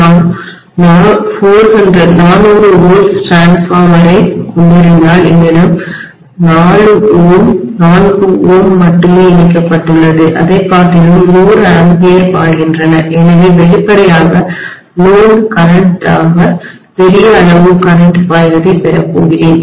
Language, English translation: Tamil, If I am having a 400 volts transform and if I have only 4 ohm connected than 100 amperes will be flowing, so obviously am going to have a large value of current flowing as the load current